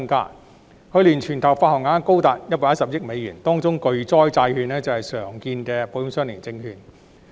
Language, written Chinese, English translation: Cantonese, 去年，保險相連證券的全球發行額高達110億美元，當中巨災債券是常見的保險相連證券。, Last year the global issuance of ILS reached US11 billion and a common form of ILS is catastrophe bonds